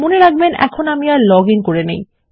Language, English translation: Bengali, Remember Im not logged in